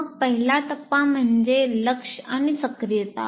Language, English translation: Marathi, Then the first stage is attention and activation